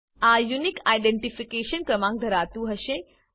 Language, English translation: Gujarati, This will contain the Unique Identification number